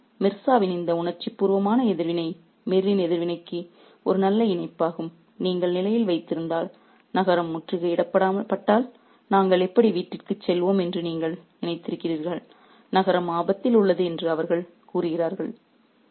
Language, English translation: Tamil, And this sympathy, this emotional reaction of Mirza is a nice parallel to Mirz reaction if you remember, who says that have you thought how we shall go home if the city is diseased and he says the city is in danger